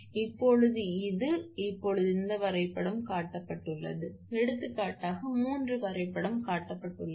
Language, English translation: Tamil, Now, this one now this one that this diagram is shown for example, three diagram is shown